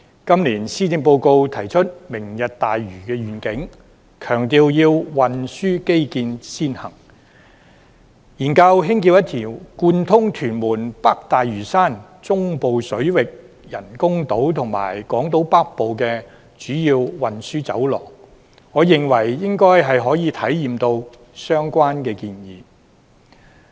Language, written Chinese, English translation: Cantonese, 今年施政報告提出"明日大嶼願景"，強調要運輸基建先行，研究興建一條貫通屯門、北大嶼山、中部水域人工島與港島北部的主要運輸走廊，我認為應該可以回應到相關的建議。, The Policy Address this year proposes the Lantau Tomorrow Vision which places emphasis on according priority to transport infrastructure development . The Government will study the construction of a major transport corridor to link up Tuen Mun North Lantau the artificial islands in the Central Waters and Hong Kong Island North and I think this has responded to the proposal concerned